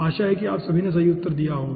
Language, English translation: Hindi, hope all of you have answered the correct one